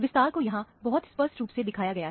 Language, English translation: Hindi, The expansion is shown here very clearly